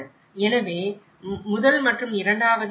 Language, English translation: Tamil, So, in the first and second, 1